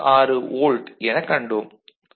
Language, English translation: Tamil, 66 volt which is 3